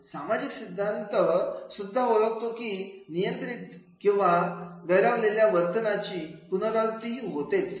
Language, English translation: Marathi, Social learning theory also recognizes that behavior that is reinforced or rewarded tends to be repeated